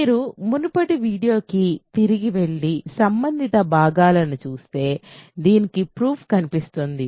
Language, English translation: Telugu, So, if you go back to the previous video and just look at the relevant parts you will see a proof of this